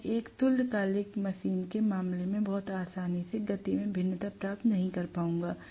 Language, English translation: Hindi, I will not be able to get variation in the speed very easily in the case of a synchronous machine